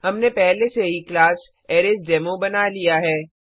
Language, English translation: Hindi, We have already created a class ArraysDemo